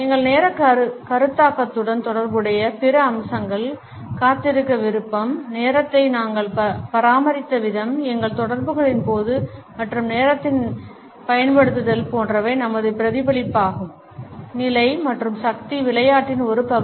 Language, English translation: Tamil, Other aspects which may be associated with our concept of time is our willingness to wait, the way we maintained time, during our interactions and to what extent the use of time punctuality etcetera are a reflection of our status and a part of the power game